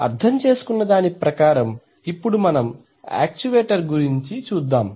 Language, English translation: Telugu, So having understood this operation let us now look at the actuator